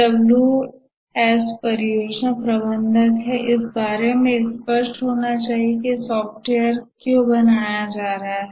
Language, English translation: Hindi, The 5 Ws are the project manager need to be clear about why is the software being built